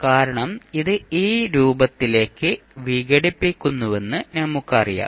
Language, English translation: Malayalam, Because now we know, that it is decompose into this form